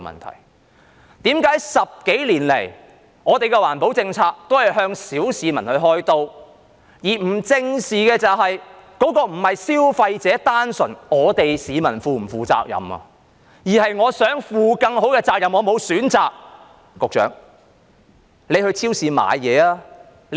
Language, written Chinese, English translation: Cantonese, 為甚麼10多年來，政府的環保政策都是向小市民開刀，而不正視這並非單純在於消費者、市民是否要負責任，而是我想負更好的責任但我沒有選擇。, Why is it that for more than a decade the Governments policies on environmental protection have always sought to fleece the general public rather than addressing squarely the point that the question lies not purely in whether consumers or the public should take up responsibility because the fact is I want to take up more responsibility but I have no choice